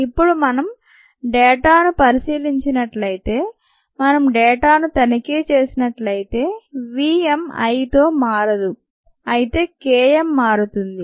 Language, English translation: Telugu, if we inspect the data, it tells us that v m does not change with i, but k m changes